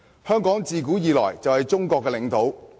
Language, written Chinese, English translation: Cantonese, 香港自古以來就是中國的領土。, Hong Kong has been part of the territory of China since the ancient times